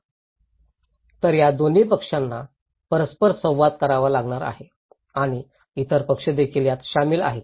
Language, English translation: Marathi, Now, these two parties has to interact and there are other parties are also involved